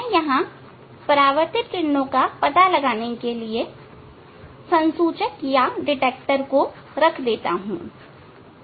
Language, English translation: Hindi, I can put a detector here to detect the to catch the reflected rays